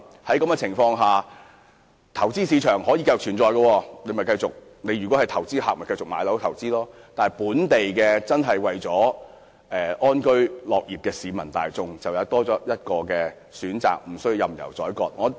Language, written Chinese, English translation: Cantonese, 在這種情況下，投資市場仍可繼續存在，投資客可繼續購買物業投資，但想安居樂業的本地市民則多了一項選擇，不會被任由宰割。, As such we will still have an investment market where investors can continue to purchase properties for investment while local residents who aspire to live and work in contentment will have one more choice and will not be fleeced